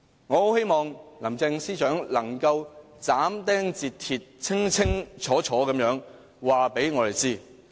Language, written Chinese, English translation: Cantonese, 我很希望林鄭司長能夠斬釘截鐵，清清楚楚告訴我們。, I really hope that the Chief Secretary for Administration can tell us everything in clear and definite terms